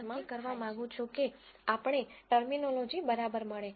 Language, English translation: Gujarati, I just want to make sure that we get the terminology right